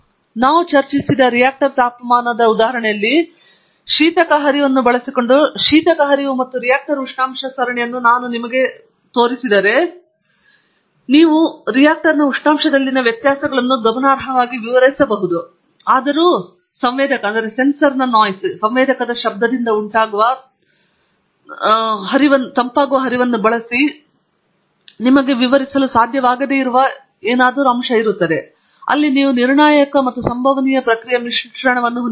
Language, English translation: Kannada, In the reactor temperature example that we discussed, if I give you the coolant flow and the reactor temperature series, using the coolant flow you can explain the variations in the reactor temperature significantly; yet there will be something left in the temperature that you may not be able to explain using a coolant flow which will be due to the sensor noise; there you have a mix of deterministic and stochastic process